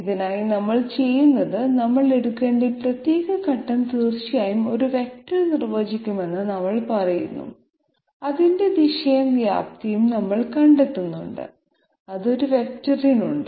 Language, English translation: Malayalam, For this what we do is, we say that okay this particular step that we have to take is definitely going to be defined by a vector, we simply find out its direction and magnitude which is all there is to it for a vector